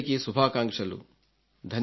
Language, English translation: Telugu, I send my best wishes to you